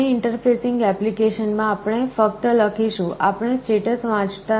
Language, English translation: Gujarati, In our interfacing application, we would only be writing, we would not be reading the status